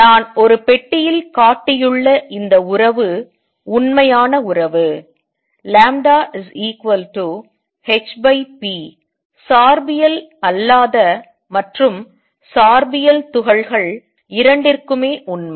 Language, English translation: Tamil, And this relationship which I am putting in a box is true relationship, lambda equals h over p is true both for non relativistic and relativistic particles